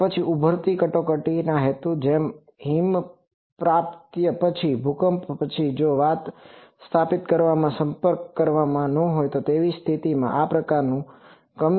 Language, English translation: Gujarati, Then for some emerging emergency purposes like after avalanche earthquake, if no communication is there to establish communication this is used